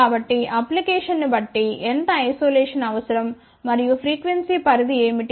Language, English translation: Telugu, So, depending upon the application, how much isolation is required and what is the frequency range